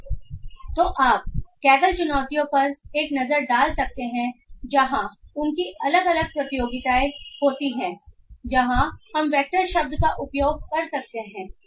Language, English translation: Hindi, So you can have a look into the Kaggle challenges where they have different competitions where we can use the word vectors